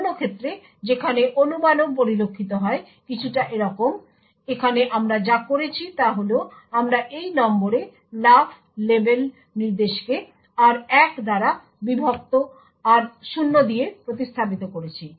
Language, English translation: Bengali, Another case where speculation is also observed is in something like this way, here what we have done is that we have replaced this jump on no 0 label instruction with a divided r0 by r1